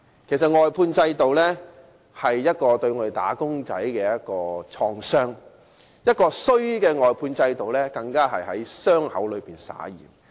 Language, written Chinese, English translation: Cantonese, 其實外判制度是對"打工仔"的一種創傷，而壞的外判制度更是在傷口上灑鹽。, Actually the outsourcing system is a kind of trauma for wage earners . What is more a bad outsourcing system is like rubbing salt into their wound